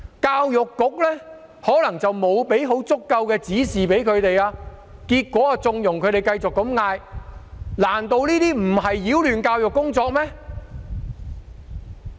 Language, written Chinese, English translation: Cantonese, 教育局可能沒有向學校提供足夠指示，結果縱容他們繼續這樣呼喊，難道這些不是擾亂教育工作嗎？, Perhaps the Education Bureau might not have given adequate directions to schools and therefore it ends up in conniving at them to keep chanting those slogans . Are these not disruptions to education?